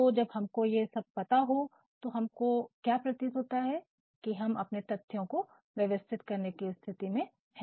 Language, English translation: Hindi, So, when we know all this, what actually appears to us is that we are now in a position to organize the data